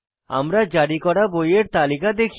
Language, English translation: Bengali, We see a list of all the Books issued